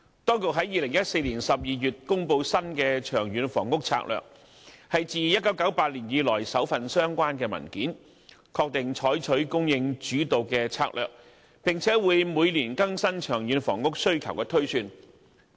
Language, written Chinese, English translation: Cantonese, 當局於2014年12月公布新的《長遠房屋策略》，是自1998年以來首份相關文件，確定採取供應主導策略，並會每年更新長遠房屋需求推算。, In December 2014 the authorities announced the new Long Term Housing Strategy the first document of its kind since 1998 confirming that they would adopt a supply - led strategy and update the projection of long - term housing demand annually